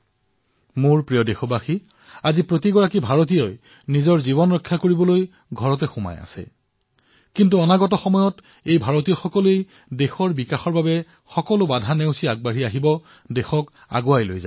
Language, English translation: Assamese, My dear countrymen, today every Indian is confined to the home, to ensure his or her own safety, but in the times to come, the very same Indian will tear down all walls on the road to our progress and take the country forward